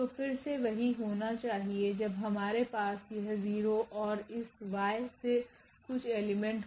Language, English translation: Hindi, So, again the same thing should hold when we have this 0 and something from this Y